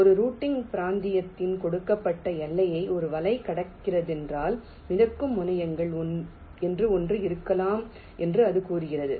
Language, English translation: Tamil, it says that if a net is crossing the given boundary of a routing region, then there can be something called floating terminals